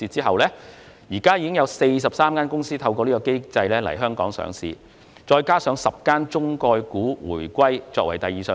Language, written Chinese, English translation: Cantonese, 目前已有43間公司透過這機制在香港上市，當中包括10間"中概股"回歸作第二上市。, Currently there have been 43 companies listed under this new regime in Hong Kong including 10 China Concept Stock companies returning to Hong Kong for secondary listing